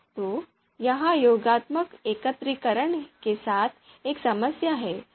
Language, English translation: Hindi, So this is one problem with the additive aggregation